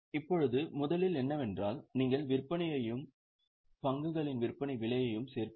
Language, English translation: Tamil, Now, what is first done is you will add sales and the selling price of stock